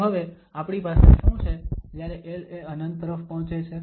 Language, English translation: Gujarati, So, what we have when l approaches to infinity